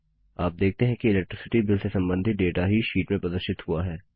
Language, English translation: Hindi, You see that only the data related to Electricity Bill is displayed in the sheet